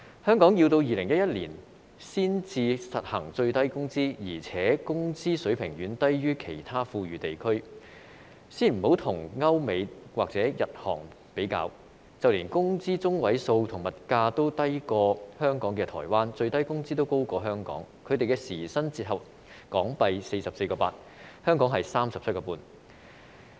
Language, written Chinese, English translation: Cantonese, 香港要在2011年才實行最低工資，而且工資水平遠低於其他富裕地區，先不與歐美或日韓比較，就連工資中位數和物價均低於香港的台灣，最低工資也高於香港，他們的時薪折合為 44.8 港元，香港是 37.5 元。, Let us not compare our minimum wage level with those in Europe the United States Japan and South Korea . But the minimum wage level in Hong Kong is even lower than that in Taiwan whose median wage and prices of daily necessities are lower than ours . The hourly rate in Taiwan is equivalent to HK44.8 and ours is HK37.5